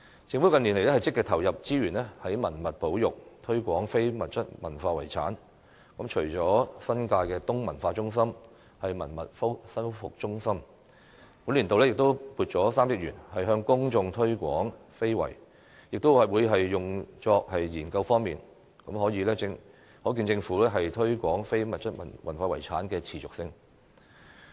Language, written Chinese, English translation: Cantonese, 政府近年積極投入資源於文物保育和推廣非物質文化遺產，除了新界東文化中心、文物修復資源中心外，本年度亦撥款3億元向公眾推廣非遺及用於研究用途，可見政府對於推廣非遺的持續性。, In recent years the Government has actively committed resources for relics conservation and promotion of intangible cultural heritage ICH . Apart from funding the New Territories East Cultural Centre and the Heritage Conservation and Resource Centre the Government will also allocate 300 million this year for promoting ICH among the public and for research purposes . We can thus see the continuity of the Government in promoting ICH